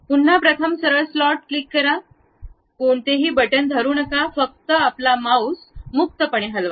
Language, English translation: Marathi, Again, first straight slot, click, do not hold any button, just freely move your mouse